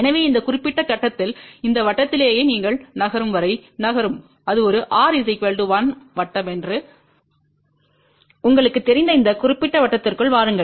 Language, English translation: Tamil, So, at this particular point just on this circle itself you keep moving moving moving till you come to this particular circle which you know it is a r equal to 1 circle